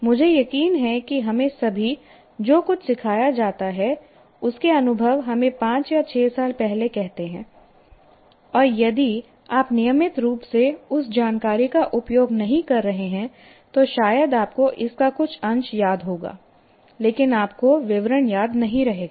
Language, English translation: Hindi, I'm sure all of us experience something that is taught to us, let us say, five years ago, six years ago, if you are not using that information regularly, you can't, maybe you will remember some trace of it, but you will not remember the details